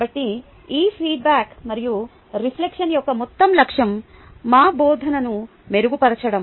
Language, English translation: Telugu, so the entire goal of this feedback and reflection is to improve our teaching